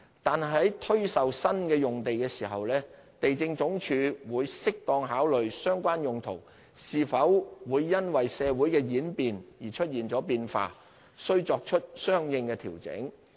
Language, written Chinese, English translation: Cantonese, 但是，在推售新用地時，地政總署會適當考慮相關用途是否會因為社會的演變而出現了變化，須作出相應的調整。, When putting up land for sale however LandsD will consider whether the uses of the lots have to be adjusted in response to the changing social circumstances